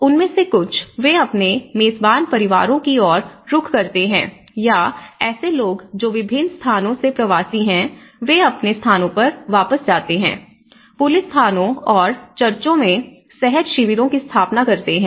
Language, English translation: Hindi, One is move to the host families and some of them, they tend to move to their host families or like people who are migrants from different places, they go back to their places, setup spontaneous camps in police stations and churches